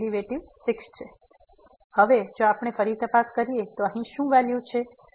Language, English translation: Gujarati, So, now if we check again what is the value here